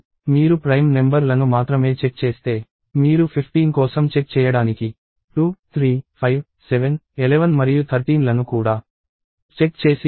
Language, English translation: Telugu, If you check only the prime numbers, you would have still checked 2, 3, 5, 7, 11 and 13 also to check for 15